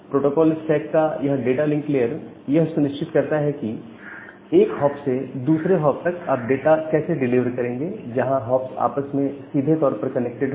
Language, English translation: Hindi, So, this data link layer of the protocol stack, it ensures that how will you deliver the data from one hop to the next hop, which are directly connected with each other